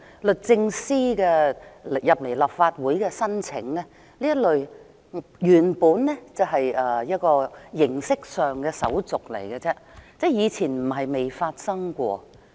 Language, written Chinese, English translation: Cantonese, 律政司向立法會提出的這項申請，原本只是形式上的手續而已，以前不是未發生過。, The Department of Justices request submitted to the Council while just a formality is not a first - time occurrence